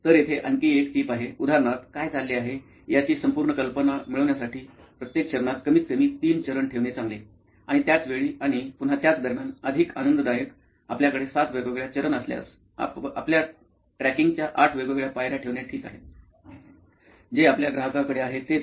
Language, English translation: Marathi, So another tip here; For each step before say for example it is good to have at least three steps in that just to get a full idea of what is going on; and same with after and same with during; again more the merrier, if you have seven different steps, eight different steps it is ok that is what your tracking, that is what your customer does, so be it